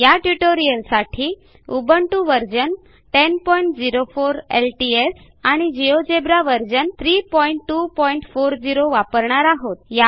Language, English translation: Marathi, In this tutorial i have worked on Ubuntu version 10.04 LTS and Geogebra version 3.2.40